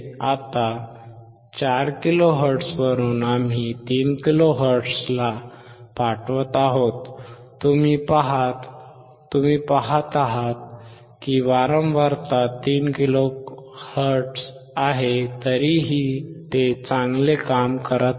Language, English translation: Marathi, Now from 4 kilohertz, we are sending to 3 kilo hertz, you see they are changing the 3 kilo hertz still it is working well